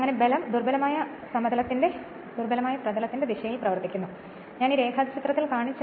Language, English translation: Malayalam, And this and thus the force acts in the direction of the weaker field right whatever I showed in the diagram